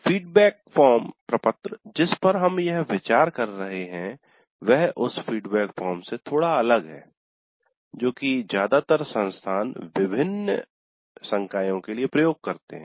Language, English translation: Hindi, The feedback form that we are considering here is slightly different from the feedback that most of the institutes do get regarding the faculty